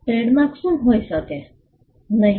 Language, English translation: Gujarati, What cannot be trademark